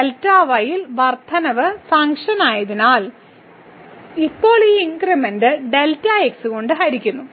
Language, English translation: Malayalam, So, the increment in delta as it is the function as it is now divided by this increment delta